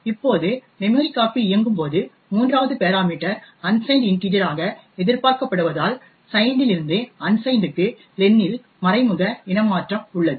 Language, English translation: Tamil, Now when memcpy executes since it expects the 3rd parameter to be an unsigned integer therefore there is an implicit type casting of len from signed to unsigned